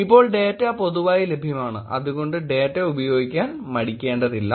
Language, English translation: Malayalam, Now, the data is publicly available please feel free to actually play around with the data